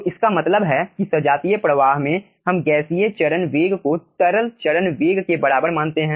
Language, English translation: Hindi, so that means in homogeneous flow we consider the gaseous phase velocity is equivalent to your liquid phase velocity